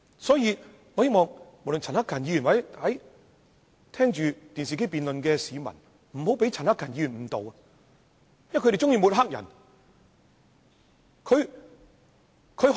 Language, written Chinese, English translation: Cantonese, 所以我希望在觀看電視直播的市民，不要被陳克勤議員誤導，因為他們喜歡抹黑別人。, Therefore I hope people watching the live television broadcast of this debate will not be misled by Mr CHAN Hak - kan as they should know that pro - establishment Members like to smear others